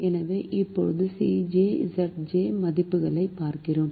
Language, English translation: Tamil, so now we look at the c j minus z j values is